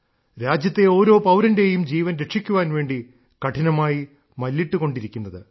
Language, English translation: Malayalam, Steadfastly, they endured to save the life of each and every citizen of the country